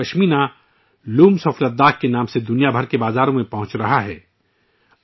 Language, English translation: Urdu, Ladakhi Pashmina is reaching the markets around the world under the name of 'Looms of Ladakh'